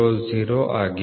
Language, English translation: Kannada, 000 plus 0